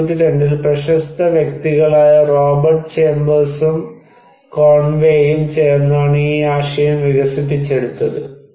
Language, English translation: Malayalam, So, this idea came originally developed by famous person Robert Chambers and Conway in 1992, quite long back